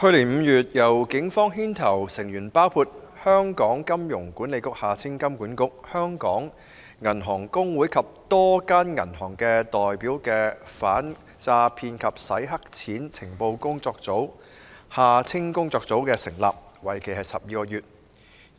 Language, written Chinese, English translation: Cantonese, 去年5月，由警方牽頭、成員包括香港金融管理局、香港銀行公會及多家銀行的代表的反訛騙及洗黑錢情報工作組成立，為期12個月。, The Fraud and Money Laundering Intelligence Taskforce led by the Police with members comprising representatives from the Hong Kong Monetary Authority HKMA the Hong Kong Association of Banks and a number of banks was established in May last year for a period of 12 months